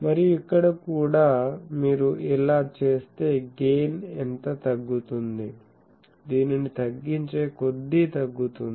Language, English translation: Telugu, And, here also if you do this how much reduction the gain will suffer